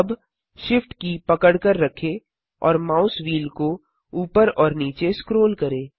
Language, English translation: Hindi, Now, hold SHIFT and scroll the mouse wheel up and down